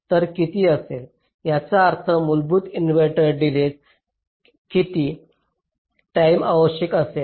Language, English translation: Marathi, i mean, how many times of the basic inverter delay will it require